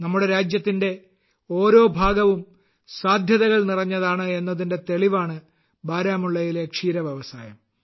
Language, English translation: Malayalam, The dairy industry of Baramulla is a testimony to the fact that every part of our country is full of possibilities